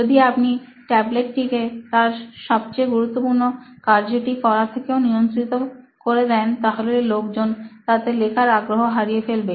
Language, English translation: Bengali, If you keep on restricting that tablet to its core functionality what it is meant to be so people will actually lose out that essence of writing on the tablet